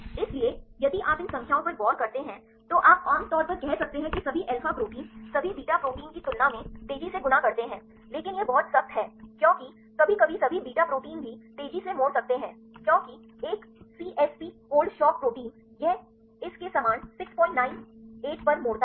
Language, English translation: Hindi, So, if you look into these numbers generally you can say that all alpha proteins fold faster than all beta proteins, but that is start very strict because sometimes even all beta proteins can also fold fast because the one CSP the cold shock protein; it folds at 6